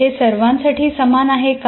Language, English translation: Marathi, And is it the same for all